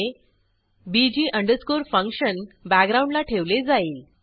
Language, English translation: Marathi, puts bg function in the background